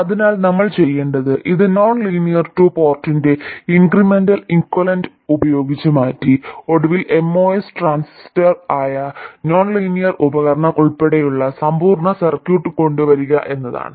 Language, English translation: Malayalam, So, what we need to do is to replace this with the incremental equivalent of the nonlinear 2 port and eventually come up with the complete circuit including the nonlinear device which is the MOS transistor